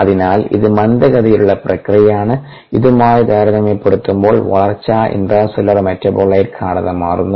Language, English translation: Malayalam, so this is the slow process, growth compared to the, the process of intracellular metabolite concentration changes